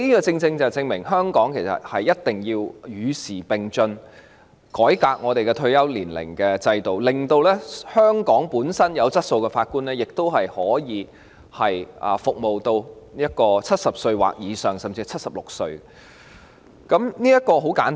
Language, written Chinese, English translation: Cantonese, 這正好證明了香港必須與時並進，改革法官的退休制度，令香港具備質素的法官亦可服務至70歲或以上，甚至是76歲，這個道理很簡單。, This exactly proves that Hong Kong must keep abreast of the times by reforming the retirement system of Judges so as to allow those quality Judges in Hong Kong to remain in service up to the age of 70 or above or even 76 . This is a very simple rationale